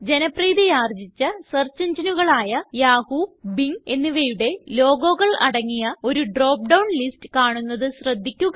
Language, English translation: Malayalam, We notice that a drop down box appears with the logos of most popular search engines, including Yahoo and Bing